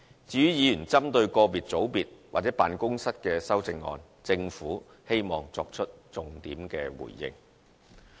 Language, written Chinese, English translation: Cantonese, 至於議員針對個別組別或辦公室的修正案，政府希望作出重點回應。, In regard to Members amendments targeting at specific units or offices the Government would like to respond to the salient points raised by Members